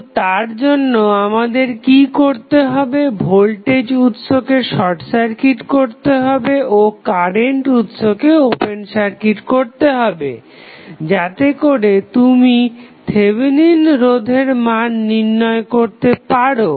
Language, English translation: Bengali, So, for that what you have to do, you have to first short circuit the voltage source and open circuit the current source so, that you can find out the value of Thevenin resistance